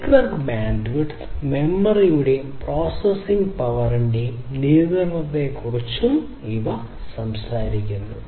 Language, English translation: Malayalam, So, these talks about the control over the network bandwidth memory and processing power